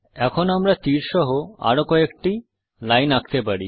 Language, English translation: Bengali, We would now want to enter some more lines with arrows